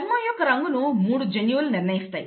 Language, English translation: Telugu, The skin colour is determined by 3 genes